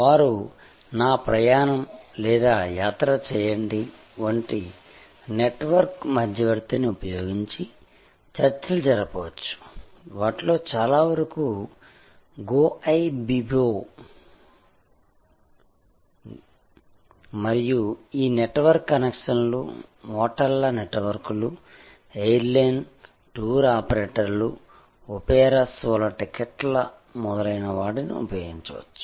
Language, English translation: Telugu, They can negotiate using a network intermediary like make my trip or Yatra and so on, Goibibo so many of them and using the connections of this network, networks of hotels, airlines, tour operators, tickets for opera shows and so on